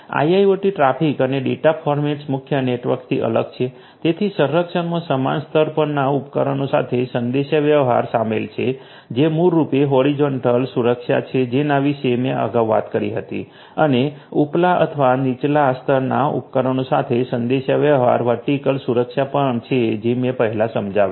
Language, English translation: Gujarati, IIoT traffic and data formats are different from the core network, so protection involves communication with the devices at the same layer which is basically the horizontal security that I talked about earlier and communication with devices at upper or lower layer which is the vertical security that also I explained earlier